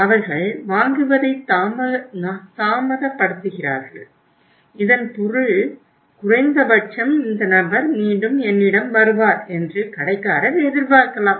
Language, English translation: Tamil, They delay purchase so it means at least the store can expect this person will again come back to me and by that time I should make the product available